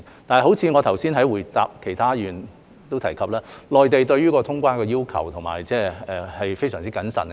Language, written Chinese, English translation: Cantonese, 但是，正如我剛才回答其他議員時也提及，內地對於通關的要求是非常謹慎的。, However as I mentioned in my replies to other Members the Mainland is very cautious about the requirements for resumption of normal traveller clearance